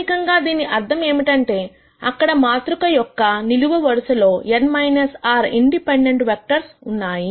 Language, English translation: Telugu, This basically means that there are n minus r independent vectors in the columns of the matrix